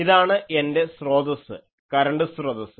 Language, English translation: Malayalam, This is my source, current source